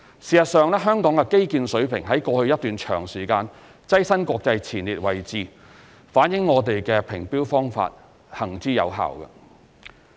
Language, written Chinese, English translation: Cantonese, 事實上，香港的基建水平在過去一段長時間躋身國際前列位置，反映我們的評標方法行之有效。, In fact Hong Kong has been amongst the top - rank cities in the world in respect of infrastructure competitiveness over the years which reveals that our tender evaluation system has been effective